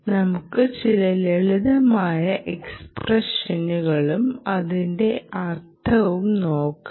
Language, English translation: Malayalam, lets put down some simple expressions and see actually what it means